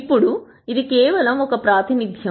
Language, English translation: Telugu, Now, this is just one representation